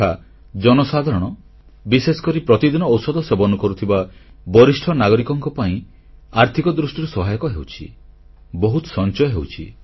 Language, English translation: Odia, This is great help for the common man, especially for senior citizens who require medicines on a daily basis and results in a lot of savings